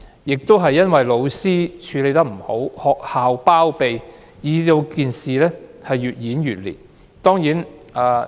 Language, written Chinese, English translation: Cantonese, 由於教師處理不善，學校又包庇，事件便越演越烈。, As the teachers are not good at handling these incidents and the schools are shielding those involved the incident is getting worse